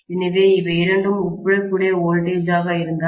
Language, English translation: Tamil, So, this is the case both of them are of comparable voltage